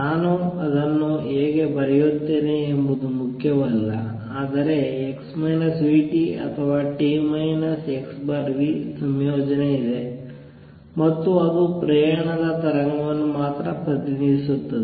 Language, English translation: Kannada, No matter how I write it, but there is a combination x minus v t or t minus x over v and that only represents a travelling wave